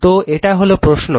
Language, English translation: Bengali, So, this is the problem